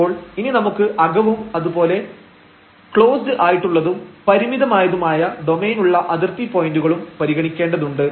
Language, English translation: Malayalam, So, we have to consider the interior and we have to also consider the boundaries when we have a closed and the bounded domain